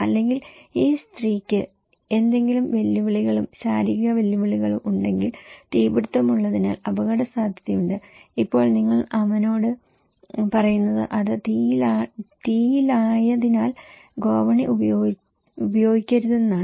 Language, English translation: Malayalam, Or if this lady having some challenges, physical challenges is at risk because there is a fire and now you are saying to him that don’t use the staircase because it is in fire